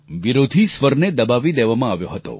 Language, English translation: Gujarati, The voice of the opposition had been smothered